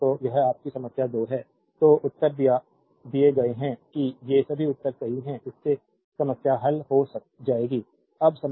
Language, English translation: Hindi, So, your this is problem 2 so, answers are given hope these all answers are correct you will solve it, now problem 3